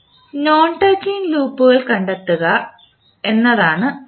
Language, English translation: Malayalam, Next is to find out the Non touching loops